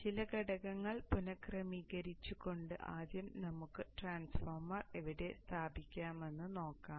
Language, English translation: Malayalam, So let us start first with rearranging some of the components and see where we can put the transformer